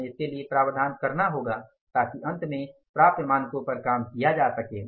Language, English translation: Hindi, We have to make provisions for that so that finally the attainable standards can be worked out